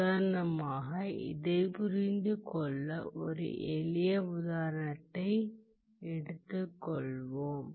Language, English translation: Tamil, Let us take a simple example to understand this